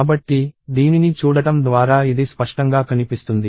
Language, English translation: Telugu, So, this is evident from looking at this